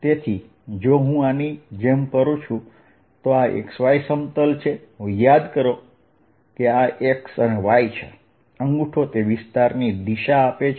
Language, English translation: Gujarati, so if i go around like this, this is the x y plane, remember x and y thumb gives the direction of area